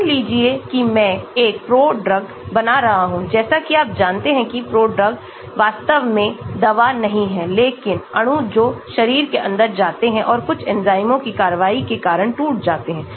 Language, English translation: Hindi, Suppose I am making a prodrug, as you know prodrugs are not really drug but molecules which go inside the body and they get broken because of action of some enzymes